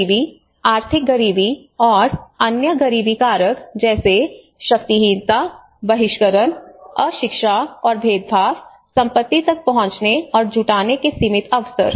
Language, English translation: Hindi, Poverty, economic poverty and other poverty factors such as powerlessness, exclusion, illiteracy and discrimination, limited opportunities to access and mobilise assets